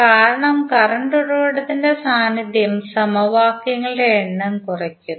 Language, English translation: Malayalam, Because the presence of the current source reduces the number of equations